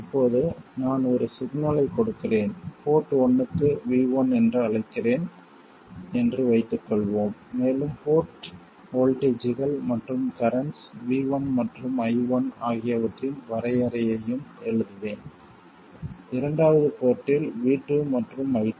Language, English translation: Tamil, Now let's say that I apply a signal, let's say it is called V1 to port 1 and I'll also write down the definition of port voltages and currents, V1 and I1 and V2 and I2 in the second port and let's say that we take the output from the second port